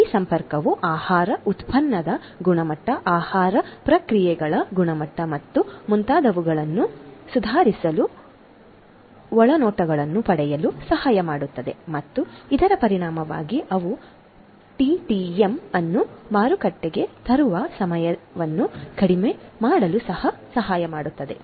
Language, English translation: Kannada, This connectivity can help in gaining insights to improve the quality of the product food product, the quality of the food processes and so on and consequently they can also help in the reduction of the time to market TTM